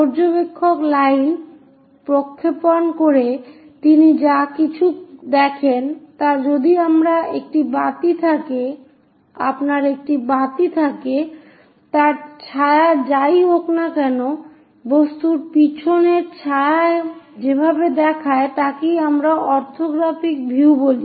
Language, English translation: Bengali, Observer; whatever he sees by projecting lines is more like if you have a lamp, whatever the shadow it forms and precisely the shadow behind the object the way how it looks like that is what we call this orthographic views